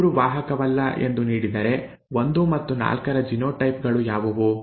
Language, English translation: Kannada, If 3 is not a carrier, if this is given, what are the genotypes of 1 and 4